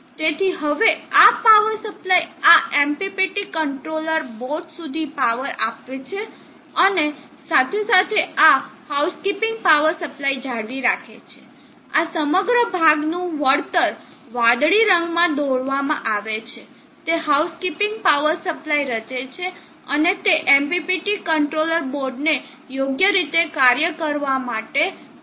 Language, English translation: Gujarati, So now completing this power supply powers of this MPPT controller board and along with this house keeping power supply this whole portion return is drawn in blue will form the house keeping power supply and that is needed for the MPPT controller board to work properly